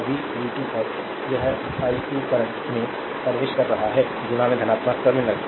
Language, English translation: Hindi, This is your v 2 and this i 2 current entering into the positive terminal ohms law